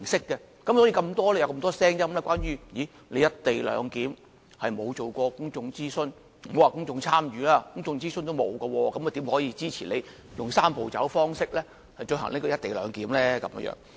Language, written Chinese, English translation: Cantonese, 所以，這樣才引致眾多聲音說關於"一地兩檢"並沒有進行公眾諮詢，也不要說公眾參與了，連公眾諮詢也沒有，怎可以支持政府用"三步走"方式推行"一地兩檢"呢？, This is why many people say that no public consultation has been carried out for co - location not to mention public engagement . How can we really support the Governments implementation of co - location pursuant to the Three - step Process when it has not even done any public consultations?